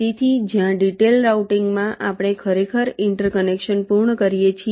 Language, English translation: Gujarati, so where, as in detail routing, we actually complete the interconnections